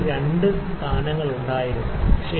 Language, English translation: Malayalam, 02 places, ok